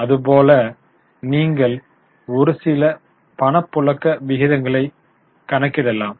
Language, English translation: Tamil, Like that you can calculate a few cash flow ratios